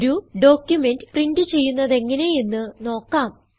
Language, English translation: Malayalam, Let me quickly demonstrate how to print a document